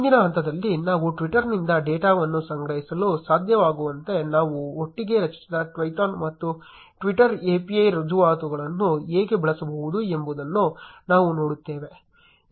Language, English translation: Kannada, In the next step, we will see how we can use Twython and the twitter API credentials which we have created together to be able to collect data from twitter